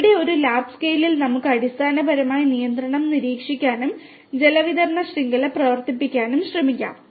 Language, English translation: Malayalam, Where, we can on a lab scale we can basically monitor control and try to operate a water distribution network